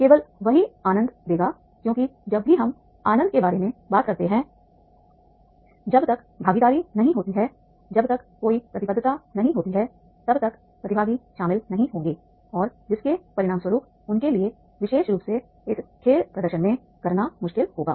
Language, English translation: Hindi, Only that will give the enjoyment because whenever we talk about the enjoyment unless until the involvement is not there unless it until there is no commitment the participants will not be not involved and as a result of which the it will be difficult for them to demonstrate this particular game